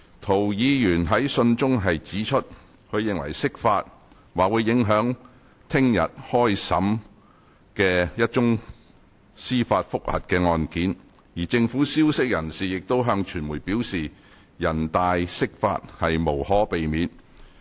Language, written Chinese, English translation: Cantonese, 涂議員在信中指出，他認為釋法"或會影響明日開始審理的一宗司法覆核的案件，而政府消息人士亦曾向傳媒表示'人大釋法無可避免'"。, Mr TO says in the letter that an interpretation of the Basic Law by NPCSC may impact the hearing of the judicial review case scheduled to start tomorrow and a government source has told the media that an interpretation of the Basic Law by NPCSC is inevitable